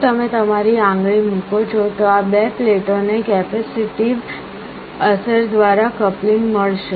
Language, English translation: Gujarati, If you put your finger, these two plates will get a coupling via a capacitive effect